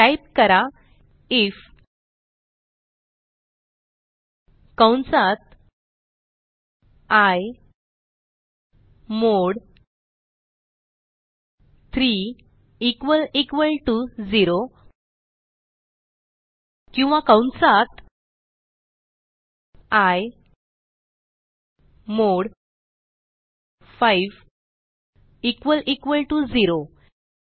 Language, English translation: Marathi, So type, if within brackets i mod 3 double equal to 0 or within brackets i mod 5 double equal to 0